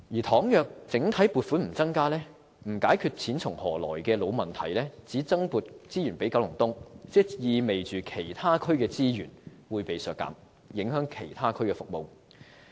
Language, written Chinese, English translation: Cantonese, 倘若整體撥款不增加，不解決錢從何來的老問題，而只增撥資源予九龍東，意味着其他區的資源會被削減，影響其他區的服務。, If we just allocate additional resources to Kowloon East without increasing the overall funding or addressing the long - standing issue of who foots the bill it will only mean a reduction in resources in other districts thereby affecting the services in such districts